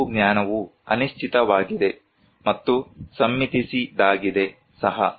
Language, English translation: Kannada, Some knowledge are uncertain, and also consented